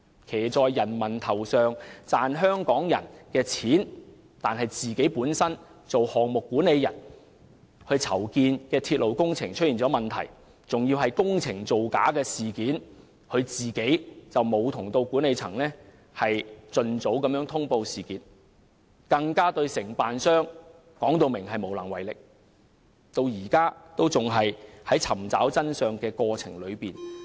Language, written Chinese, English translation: Cantonese, 他騎在人民頭上，賺香港人的錢，但作為項目管理人，當籌建的鐵路工程出現問題，涉及工程造假事件時，他和管理層均沒有盡早通報事件，更表明對承建商無能為力，至今仍在尋找真相的過程中。, He has been riding roughshod over the masses when earning money from Hong Kong people . He is the person managing the railway project in question but when fraudulent practices were found in this project planned by him neither he nor the management of MTRCL notified the Government of the problem at the earliest opportunity . He has even stated that they are powerless to deal with the contractor and are still in the process of pursuing the truth today